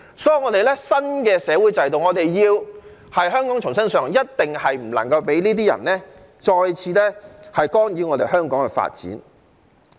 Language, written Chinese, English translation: Cantonese, 所以，在我們新的社會制度下，香港要重新上路，一定不能讓這些人再次干擾香港的發展。, Therefore under our new social system Hong Kong must set a new course and we must not allow these people to interfere with the development of Hong Kong again